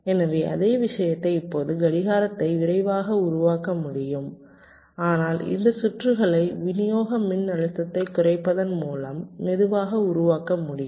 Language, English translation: Tamil, now clock can be made faster, but these circuits can be made slower by reducing the supply voltage